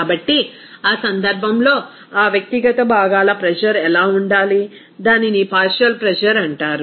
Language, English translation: Telugu, So, in that case, what should be that individual component pressure, it will be called as partial pressure